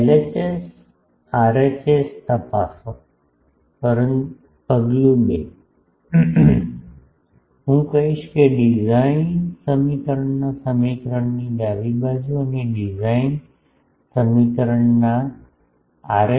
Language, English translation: Gujarati, Check LHS RHS step 2: I will say find left hand side of the equation of design equation and R